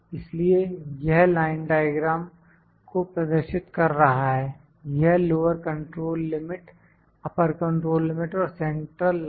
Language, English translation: Hindi, So, it is showing these line diagram, these lower control limit, upper control limit and the central line